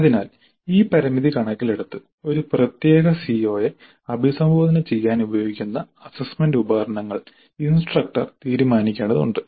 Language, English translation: Malayalam, So keeping this constraint in view the instructor has to decide the assessment instruments that would be used to address a particular CO